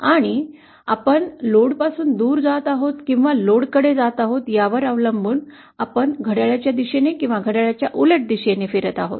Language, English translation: Marathi, And depending on whether we are moving away from the load or towards the load, we will be traversing in a clockwise direction or anticlockwise direction